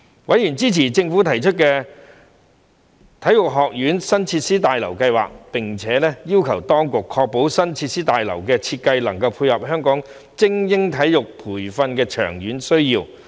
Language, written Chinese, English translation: Cantonese, 委員支持政府提出的體育學院新設施大樓計劃，並要求當局確保新設施大樓的設計能配合香港精英體育培訓的長遠需要。, Members were in support of the new facilities building of the Hong Kong Sports Institute HKSI project proposed by the Government and requested that the design of the new facilities building should be able to cater for the long - term needs of elite sports training in Hong Kong